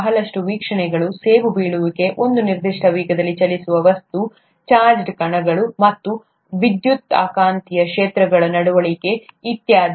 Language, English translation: Kannada, Lot of observations, apple falling, object moving at a certain speed, behaviour of charged particles and electromagnetic fields, and so on